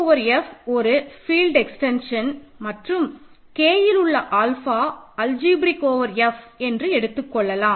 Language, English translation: Tamil, So, let K over F be a field extension and let alpha in K be algebraic over F; this is the definition now